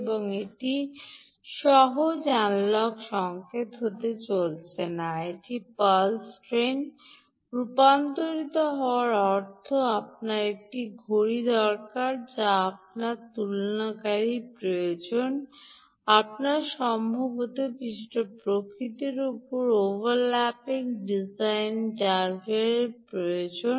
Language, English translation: Bengali, analogue signal converted to a pulse train means you need a clock, you need comparators, you did you perhaps need non overlapping digital drivers of some nature